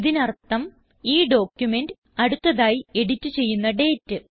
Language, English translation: Malayalam, This means, it also shows the next edited date of the document